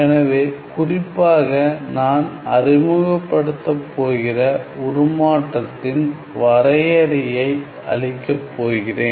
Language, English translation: Tamil, So, specifically I am going to introduce the transform I am going to provide the definition